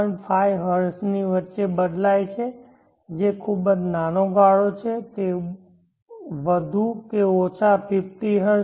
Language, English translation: Gujarati, 5 Hz which is a very small margin it is more or less 50Hz